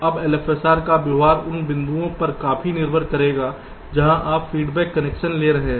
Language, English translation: Hindi, now the behavior of an l f s r will depend quite a lot on the points from where you are taking the feedback connection